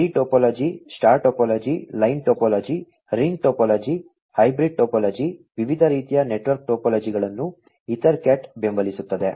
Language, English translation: Kannada, The network topology that is used are the tree topology, the star topology, line topology, ring topology, hybrid topology, different types of network topologies are supported by EtherCAT